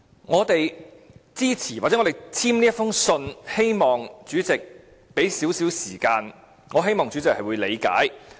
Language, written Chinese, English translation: Cantonese, 我們支持或簽署這封信，便是希望主席給予我們一些時間，亦希望主席會理解。, Our acts of supporting the motion and signing the letter are done in the hope that the President will understand our situation and thus give us some more time